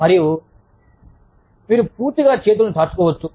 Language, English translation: Telugu, And or, you could stretch your arms, completely